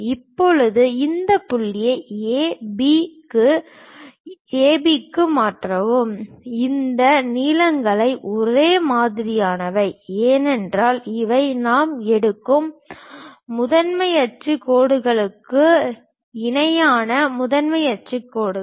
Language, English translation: Tamil, Now transfer this point A B to A B these lengths are one and the same, because these are the principal axis lines parallel to principal axis lines we are picking